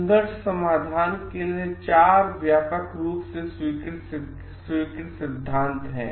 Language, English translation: Hindi, There are 4 widely accepted principles for conflict resolution